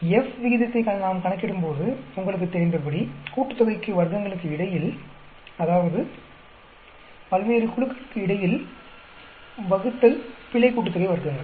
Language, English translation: Tamil, When we are calculating F ratio, as you know, between sum of squares, that means between various groups divided by error sum of squares